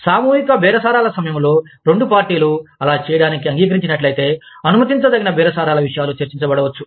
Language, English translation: Telugu, Permissive bargaining topics, may be discussed, during collective bargaining, if both parties, have agreed to do so